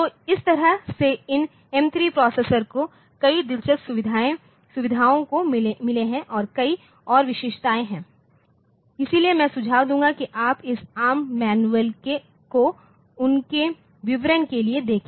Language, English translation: Hindi, So, this way these M3 pro processor so, it has got many interesting features and they are many more features are there, so I would suggest that you look into this ARM manual for their details, but whatever we do